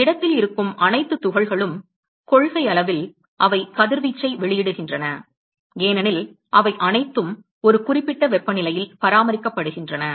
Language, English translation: Tamil, All the particles which is present in solid, in principle, they are going to emit radiation because they are all maintained at a certain temperature